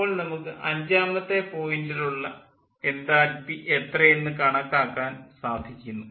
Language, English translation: Malayalam, and then we will be able to calculate the enthalpy at point five